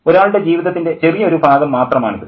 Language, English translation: Malayalam, It's just a slice of someone's life, right